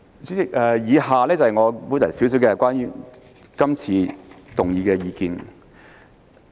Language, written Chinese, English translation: Cantonese, 主席，以下是我對於擬議決議案的一點意見。, President now I will say a few words on the proposed resolution